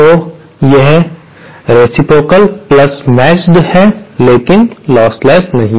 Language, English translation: Hindi, So, it is reciprocal + matched but not lossless